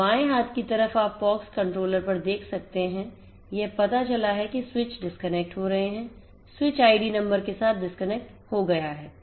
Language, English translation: Hindi, So, in the left hand side you can see at the POX controller it is detected that the switches are disconnecting so, disconnected with the switch id number